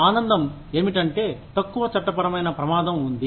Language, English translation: Telugu, The pleasure is, that there is, less legal risk